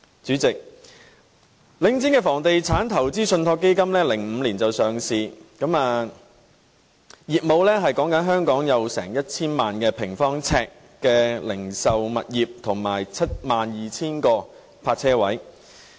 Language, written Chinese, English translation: Cantonese, 主席，領匯於2005年上市，業務是香港約 1,000 萬平方呎的零售物業和 72,000 個泊車位。, President The Link REIT was listed in 2005 and its business is related to about 10 million sq ft of retail properties and 72 000 parking spaces in Hong Kong